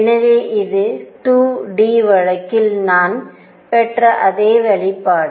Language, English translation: Tamil, So, this is exactly the same expression that we had obtained in 2 d case